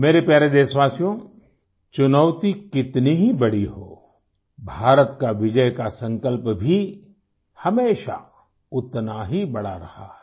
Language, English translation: Hindi, My dear countrymen, however big the challenge be, India's victoryresolve, her VijaySankalp has always been equal in magnitude